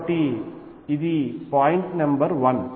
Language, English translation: Telugu, So, that is point number 1